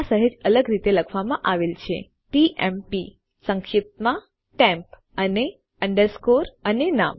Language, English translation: Gujarati, This is written slightly differently as tmp abbreviated to temp and underscore and name